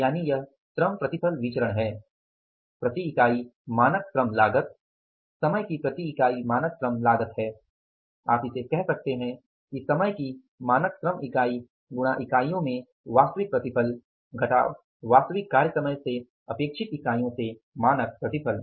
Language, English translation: Hindi, So, this labor yield variance is that is the standard labor cost per unit, standard labor cost per unit of time into actual yield in units minus standard yield in units expected from the actual time worked for, expected from the actual time worked for